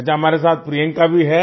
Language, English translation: Hindi, Ok, Priyanka is also with us